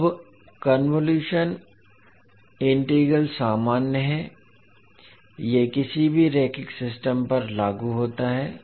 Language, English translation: Hindi, Now the convolution integral is the general one, it applies to any linear system